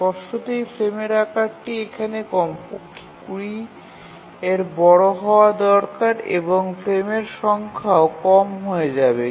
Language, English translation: Bengali, Obviously the frame size need to be large here, 20 at least and the number of frames will become less